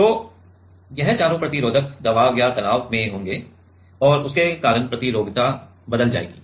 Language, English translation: Hindi, So, this all this four resistors will be under the pressure or the stress and because of that that resistivity will change